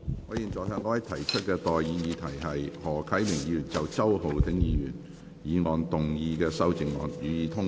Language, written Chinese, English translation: Cantonese, 我現在向各位提出的待議議題是：何啟明議員就周浩鼎議員議案動議的修正案，予以通過。, I now propose the question to you and that is That the amendment moved by Mr HO Kai - ming to Mr Holden CHOWs motion be passed